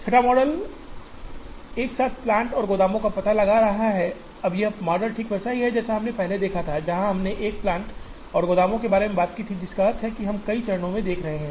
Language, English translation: Hindi, Sixth model is locating plants and warehouses simultaneously, now this model is exactly the same model that we have seen here earlier, where we have spoken about locating plants and warehouses simultaneously which means, we are looking at multiple stages